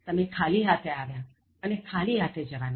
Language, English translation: Gujarati, You came here empty handed, and you will leave empty handed